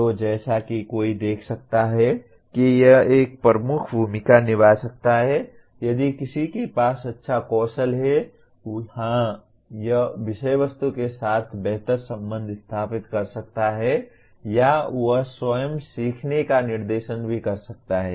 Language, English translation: Hindi, So as one can see it can play a dominant role if one has good metacognitive skills; yes, he can/ he will engage better with the subject matter or he can also direct his own learning